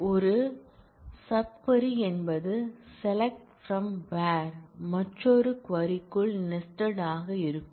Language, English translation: Tamil, A sub query is necessarily a select from where expression that is nested within another query, this is